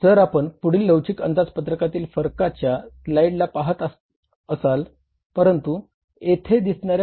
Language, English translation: Marathi, Now, how we depict the flexible budget variances